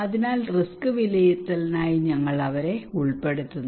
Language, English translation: Malayalam, So just for the risk assessment we involve them